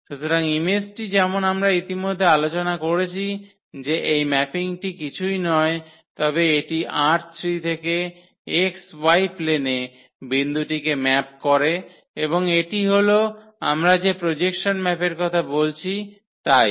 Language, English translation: Bengali, So, the image as we discussed already that this mapping is nothing but it maps the point in this R 3 to the to the x y plane and that that is exactly the projection map we are talking about